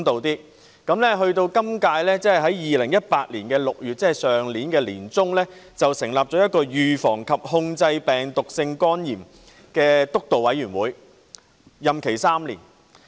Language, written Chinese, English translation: Cantonese, 本屆政府在2018年6月，即去年年中，成立了一個預防及控制病毒性肝炎督導委員會，任期3年......, In June 2018 that is in the middle of last year the present - term Government established the Steering Committee on Prevention and Control of Viral Hepatitis with a term of three years